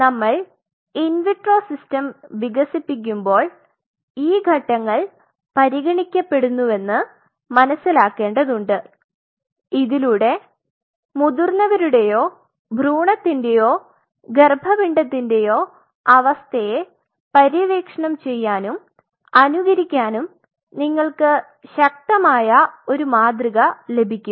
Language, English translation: Malayalam, So, while we are developing in vitro systems one has to keep in mind that these factors are being considered so that you get a robust model to explore and emulate the adult or the embryonic or the fetal type of conditions